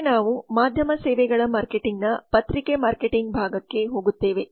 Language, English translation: Kannada, next we go to newspaper marketing part of media services marketing